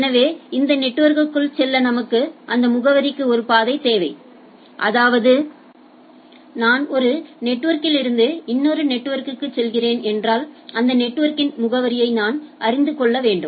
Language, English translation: Tamil, And so there are several networks and in other way we need a way to address this network also right; that means, if I am going from one network to another I should be able to know that address of the network